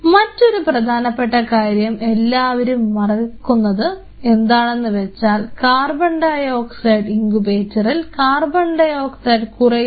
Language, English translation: Malayalam, Another important thing what I have observed over the years is people forget to keep track of if it is a CO2 incubator of the amount of CO2 in the incubator